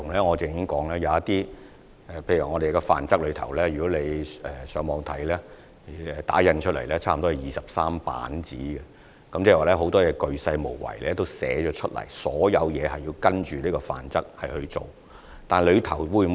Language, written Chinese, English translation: Cantonese, 我剛才也提過，《範則》的內容從電腦打印出來差不多有23頁，很多事情均已鉅細無遺地羅列，所有事情都需要依據《範則》去做。, As I have mentioned just now the Model Rules include nearly 23 pages of computer printouts . Many details have been clearly set out and compliance with the Model Rules is of paramount importance